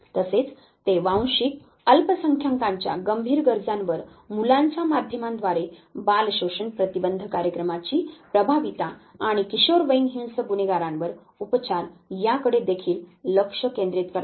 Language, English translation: Marathi, They also focus on critical needs of ethnic minorities, children’s media effectiveness of child maltreatment prevention program and treatment of violent juvenile offenders